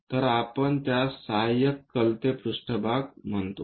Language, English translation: Marathi, So, we call that one as auxiliary inclined plane